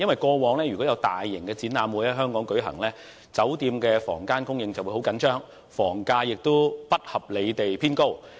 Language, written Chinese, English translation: Cantonese, 過往如果有大型展覽會在香港舉行，酒店的房間供應會十分緊張，房價亦不合理地偏高。, In the past when large - scale exhibitions were held in Hong Kong the supply of hotel rooms would become very tight and the rates would be unreasonably high